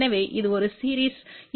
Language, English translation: Tamil, So, this is a series impedance